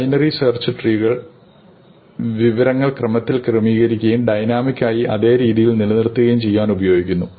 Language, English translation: Malayalam, We will look at binary search trees, which are efficient ways of maintaining information in a sorted order dynamically as information comes and goes